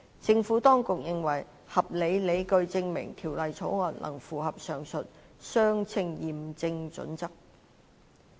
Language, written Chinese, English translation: Cantonese, 政府當局認為有合理理據證明《條例草案》能符合上述的"相稱驗證準則"。, The Administration considers it reasonably arguable that the Bill would satisfy the said proportionality test